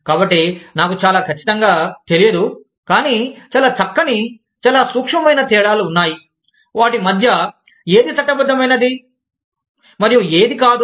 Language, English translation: Telugu, So, I am not very sure, but, there are very fine, very subtle differences, between, what is legal, and what is not